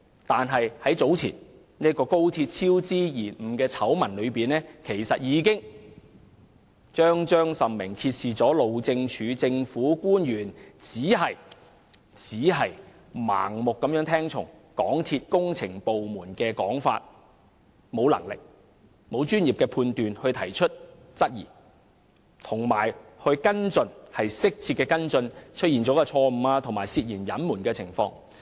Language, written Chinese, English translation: Cantonese, 但是，早前高鐵工程超支延誤的醜聞，已彰彰甚明地揭示路政署的政府官員只是盲目聽從港鐵公司工程部門的說法，沒有能力和專業判斷提出質疑或就出錯及涉嫌隱瞞的情況作出適切跟進。, Nonetheless the previous scandals about the cost overruns and delays in the XRL project clearly showed that the government officials of HyD just blindly accepted the accounts given by MTRCLs engineering department and lacked the ability or professional judgment to raise queries or take suitable follow - up actions against any mistakes and suspected concealment of facts